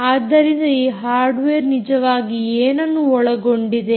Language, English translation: Kannada, so what does this hardware actually comprise